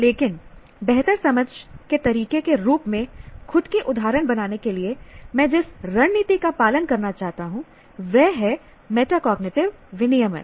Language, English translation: Hindi, But the strategy that I want to follow of creating own examples as a way of better understanding is metacognitive regulation